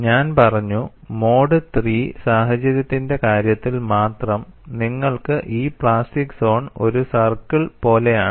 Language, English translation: Malayalam, I said only in the case of mode three situations, you have this plastic zone is like a circle, in all other cases it has some shape